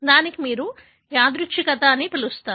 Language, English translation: Telugu, That is what you call as randomness